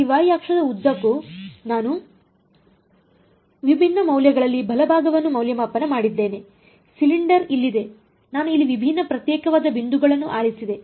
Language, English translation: Kannada, I just evaluated the right hand side at different values along the along this y axis, the cylinder was here I just chose different discrete points over here